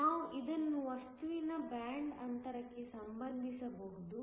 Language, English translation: Kannada, We can relate this, to the band gap of a material